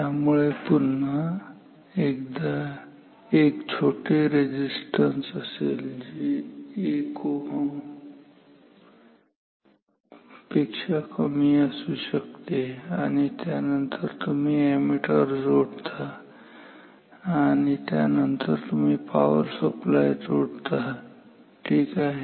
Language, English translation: Marathi, So, this is again the same small resistance may be less than 1 ohm and then you then you connect the ammeter and then you connect the power supply ok